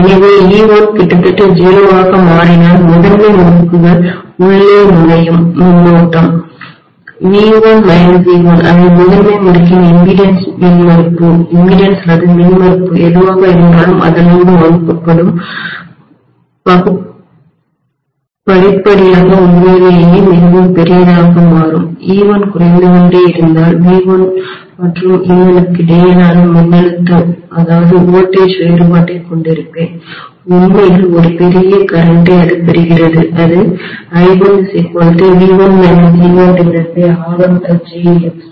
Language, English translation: Tamil, So if e1 becomes almost 0 the current that will be gushing into the primary winding which will be V1 minus e1 divided by whatever is the impedance of the primary winding gradual become really really large obviously, if e1 is diminishing I will have the voltage difference between V1 and e1 actually drawing a huge current which will be equal to V1 minus e1 divided by whatever is R1 plus jX1 that will be my I1